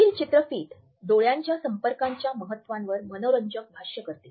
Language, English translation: Marathi, This video is a very interesting illustration of the significance of eye contact